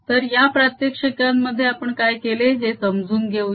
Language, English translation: Marathi, so let us understand what we have done in these demonstrations